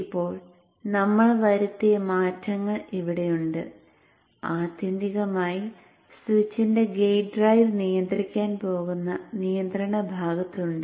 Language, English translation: Malayalam, Now the changes that we have made is here in the control portion which ultimately is going to control the gate drive of the switch